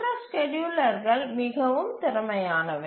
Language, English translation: Tamil, The other schedulers are much more efficient